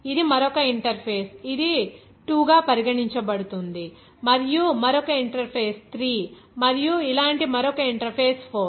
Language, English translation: Telugu, This is another interface, that is regarded as 2 and another interface 3 and like this another interface 4